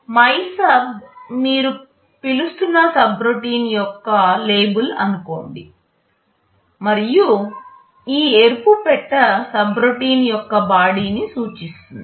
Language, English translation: Telugu, Let us say MYSUB is the label of the subroutine you are calling and this red box indicates the body of the subroutine